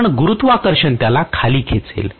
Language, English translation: Marathi, Will the gravity not pull it